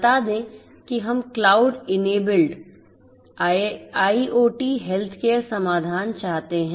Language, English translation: Hindi, Let us say that we want to have a cloud enabled IIoT healthcare care solution